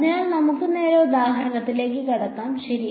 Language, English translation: Malayalam, So, suppose let us just jump straight into the example ok